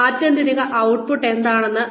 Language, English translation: Malayalam, So, the ultimate output